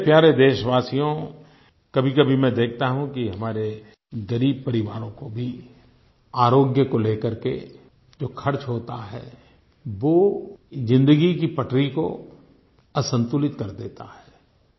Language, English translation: Hindi, My dear countrymen, sometimes I notice that the money that our poor families have to spend on their healthcare, throws their life off the track